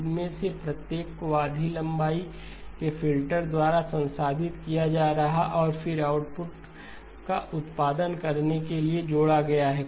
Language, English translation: Hindi, Each of these is getting processed by a filter of half the length and then added to produce the output